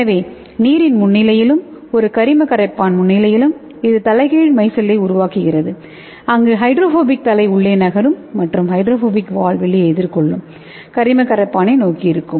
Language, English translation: Tamil, So it is in presence of water and in presence of organic solvent, it forms the reverse micelle, where the hydrophilic head will move towards inside and the hydrophobic tail will be facing towards the outside towards the organic solvent